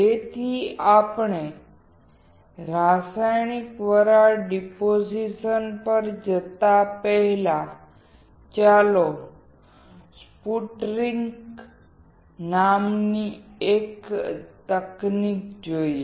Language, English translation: Gujarati, So, before we go to chemical vapor deposition, let us see one more technique called sputtering